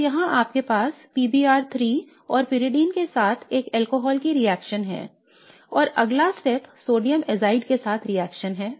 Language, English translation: Hindi, So here you have a reaction of an alcohol with PBR3 and Pyridine and the next step is reaction with sodium azide